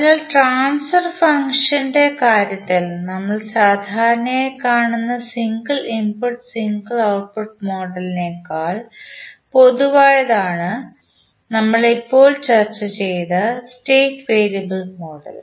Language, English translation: Malayalam, So therefore, the state variable model which we have just discussed is more general than the single input, single output model which we generally see in case of the transfer function